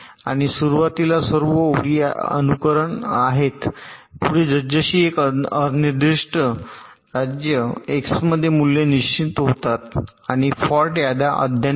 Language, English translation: Marathi, and at the beginning all lines are in an unspecified state, x, as simulation proceeds, the values get defined and the fault lists get updated